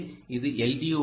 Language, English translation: Tamil, so this is ground